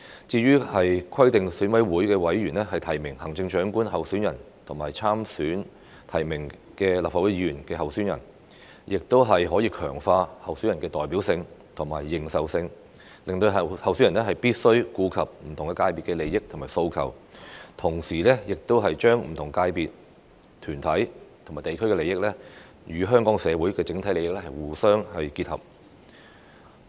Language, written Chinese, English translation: Cantonese, 至於規定選委會委員提名行政長官候選人和參與提名立法會議員候選人，亦可強化候選人的代表性和認受性，令候選人必須顧及不同界別的利益和訴求，同時亦把不同界別、團體和地區的利益，與香港社會的整體利益互相結合。, The requirement for EC members to nominate candidates in the Chief Executive election and participate in the nomination of candidates in the Legislative Council election can enhance the representativeness and legitimacy of the candidates . Consequently the candidates must take into account the interests and demands of different sectors and at the same time incorporate the interests of various sectors groups and districts into the overall interests of Hong Kong society